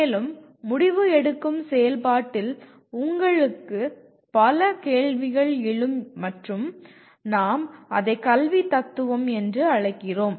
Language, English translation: Tamil, And in this process of decision making you come across a whole bunch of questions and what we call it as “philosophy of education”